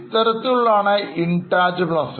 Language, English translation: Malayalam, That is an example of intangible asset